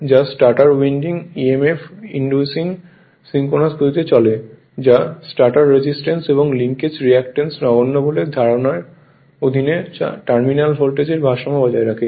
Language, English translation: Bengali, Which runs at synchronous speed inducing emf in the stator winding which balances the terminal voltage under the assumption that the stator resistance and react[ance] leakage reactance are negligible